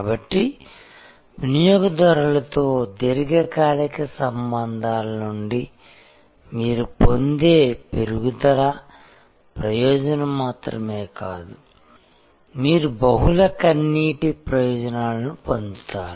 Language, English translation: Telugu, So, it is just not incremental benefit that you get from long term relationship with the customer, but you get multiple multi tear benefits